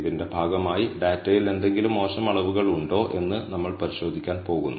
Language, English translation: Malayalam, As a part of this, we are going to look at are there any bad measurements in the data